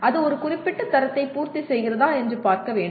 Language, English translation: Tamil, That is whether it meets a particular standard